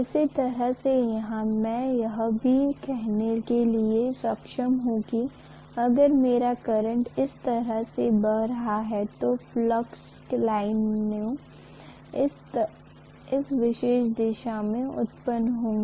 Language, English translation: Hindi, The same way I should be able to say here also, if my current is flowing like this right, so I am going to have the flux lines produced in this particular direction